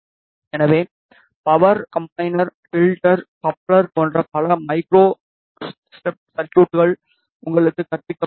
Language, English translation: Tamil, So, you have been taught many micro step circuits like power combiner, filter, coupler etcetera